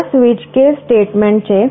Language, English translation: Gujarati, There is a switch case statement